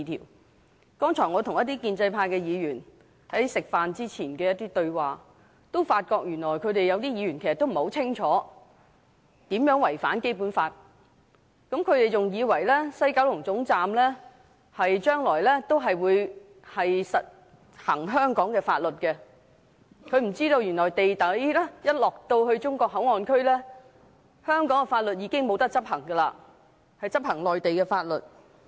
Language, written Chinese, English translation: Cantonese, 我剛才吃飯前跟一些建制派議員對話，發覺他們當中有一些原來不很清楚"一地兩檢"安排如何違反《基本法》，他們還以為西九龍站將來還會實行香港法律，不知原來一旦到了地底的"內地口岸區"，就不能執行香港法律，而是執行內地法律。, Just now before the meal I had a conversation with some Members from the pro - establishment camp and I found out that some of them did not quite understand how the co - location arrangement violates the Basic Law . They thought Hong Kong laws will be in force at the West Kowloon Station not knowing that in the underground Mainland port area no Hong Kong laws can be enforced and instead Mainland laws will be enforced